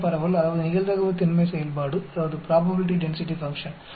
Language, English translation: Tamil, Beta distribution that is probability density function, alpha of 0